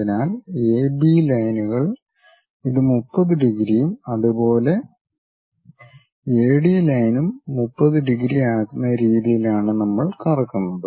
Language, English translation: Malayalam, So, we rotate in such a way that AB lines this makes 30 degrees and similarly, AD line also makes 30 degrees